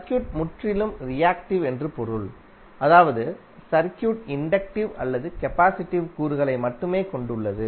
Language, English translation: Tamil, It means that the circuit is purely reactive that means that the circuit is having only inductive or capacitive elements